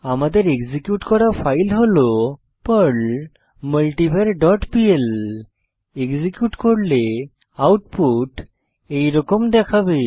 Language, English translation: Bengali, So we can execute the script as perl multivar dot pl On execution the output will look like this